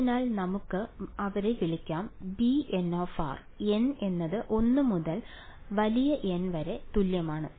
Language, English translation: Malayalam, So, let us call them say b n of r alright n is equal to 1 to N ok